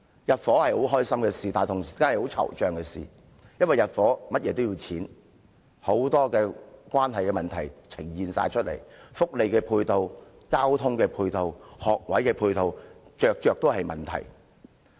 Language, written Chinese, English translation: Cantonese, 入伙是令人快樂的事，同時也是令人惆悵，因為入伙需要花費很多錢，還牽涉很多問題，包括福利、交通及學位配套問題等。, Residents feel happy moving into a new flat but they also feel anxious as they have to spend a lot of money and solve many issues such as welfare transportation and school places